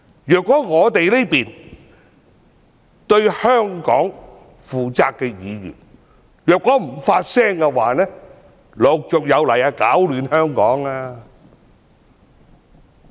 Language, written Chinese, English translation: Cantonese, 如果我們這些對香港負責的議員不發聲的話，攪亂香港的人便陸續有來。, If we Members who are accountable to Hong Kong do not speak up people who stir up trouble in Hong Kong will keep coming